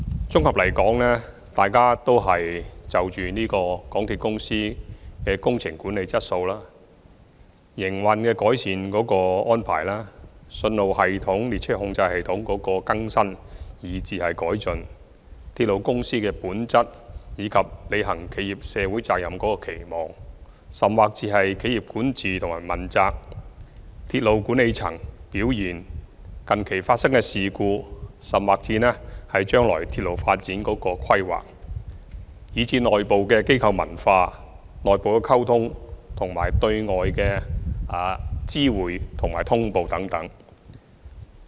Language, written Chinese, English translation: Cantonese, 綜合而言，大家就香港鐵路有限公司的工程管理質素、改善營運安排、信號系統和列車控制系統的更新、改進鐵路公司的本質、履行企業社會責任、企業管治和問責、鐵路管理層的表現、近期發生的事故、將來鐵路發展的規劃、內部的機構文化、內部的溝通，以及對外的知會和通報等發表意見。, In summary they have expressed their views on various aspects of the MTR Corporation Limited MTRCL including the quality of project management improvement of operating arrangements updating of signalling systems and train control systems refinement of the very nature of a railway corporation fulfilment of corporate social responsibility corporate governance and accountability performance of the railway management personnel recent incidents planning for future railway development internal organizational culture internal communication external notification and reporting etc